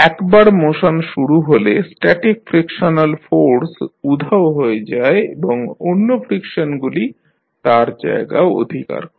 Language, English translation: Bengali, Once this motion begins, the static frictional force vanishes and other frictions will take over